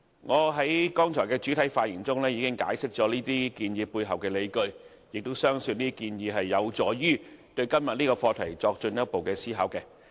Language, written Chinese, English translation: Cantonese, 我在剛才的主體發言中已經解釋這些建議背後的理據，亦相信這些建議有助於對今天的議題作進一步思考。, I have already explained the rationale for these proposals in my main speech delivered earlier . I consider that these proposals would offer useful insights for Members to consider todays motion further